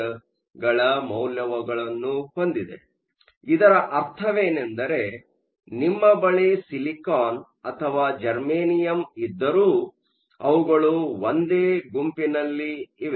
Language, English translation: Kannada, So, what this means is whether you have silicon or you have germanium both lie in the same group